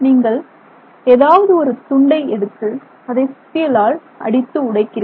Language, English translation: Tamil, So, it is like you know you take this piece and you break it with the hammer, you break it, etc